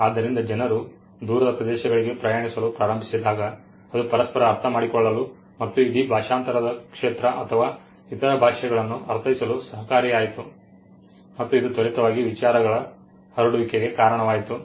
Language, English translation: Kannada, So, when people started moving that also contributed to them understanding each other and the entire the entire field of translation or interpreting other languages came up which also led to the quick spread of ideas